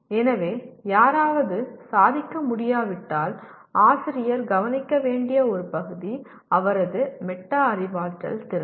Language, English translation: Tamil, So if somebody is not able to perform, one of the areas the teacher should look at is his metacognitive ability